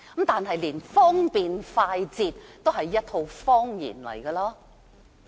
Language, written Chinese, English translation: Cantonese, 此外，連方便快捷也是謊言。, Furthermore the convenience and speediness is also a lie